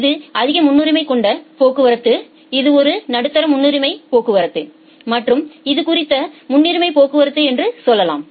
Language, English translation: Tamil, Say this is a high priority traffic, this is a medium priority traffic and this is the low priority traffic